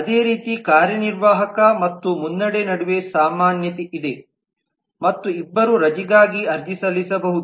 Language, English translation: Kannada, similarly there is commonly between the executive and lead as well both of them can apply for leave